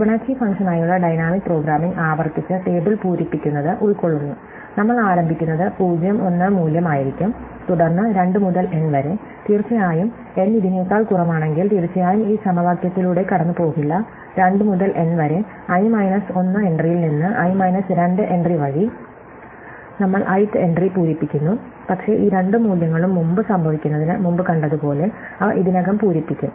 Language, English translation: Malayalam, So, dynamic programming for the Fibonacci function just consist of iteratively filling up the table, we start would the value 0 and 1, then for 2 to n, of course, if n is less than this we will not go through these equation at all for 2 to n, we fill up the ith entry from the i minus 1th entry by i minus 2th entry, but then as we saw before these two values occurred earlier, so they will already filled